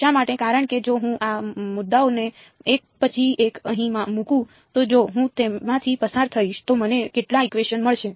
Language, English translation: Gujarati, Why because if I put these points in over here one by one if I go through them how many equations will I get